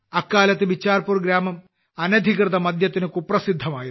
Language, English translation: Malayalam, During that time, Bicharpur village was infamous for illicit liquor,… it was in the grip of intoxication